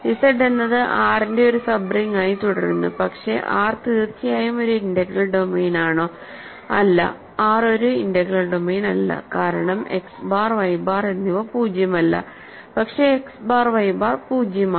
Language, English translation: Malayalam, So, Z continues to be a sub ring of R, but is R an integral domain of course, not R is not an integral domain right because X bar and Y bar are non zero, but X bar Y bar is 0 right